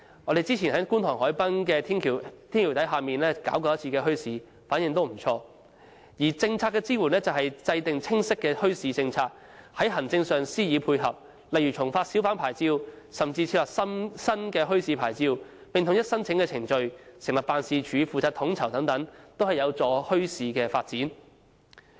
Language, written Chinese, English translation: Cantonese, 我們早前在觀塘海濱的天橋底舉辦過一次墟市，反應也不俗；而政策支援就是制訂清晰的墟市政策，在行政上加以配合，例如重發小販牌照，甚至設立新的墟市牌照，並統一申請程序、成立辦事處負責統籌等，都有助推動墟市發展。, Some time ago we held a bazaar under a bridge at the waterfront of Kwun Tong and the response was encouraging . To provide policy support is to formulate a clear policy on bazaars and provide administrative support such as reissuing hawker licences granting a bazaar licence standardizing all application procedures and establishing an office to coordinate the work in all aspects . These are all conducive to the development of bazaars